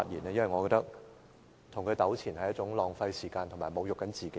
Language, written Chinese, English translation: Cantonese, 我認為跟他糾纏是一件浪費時間及侮辱自己的事。, In my view it is a waste of time and an insult to me to get entangled with him